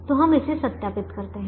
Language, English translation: Hindi, so let us verify that